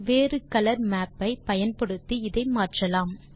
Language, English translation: Tamil, This can be changed by using a different color map